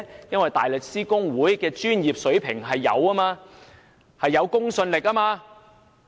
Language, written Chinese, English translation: Cantonese, 因為大律師公會的專業水平具有公信力。, Because the professionalism of the Bar Association is credible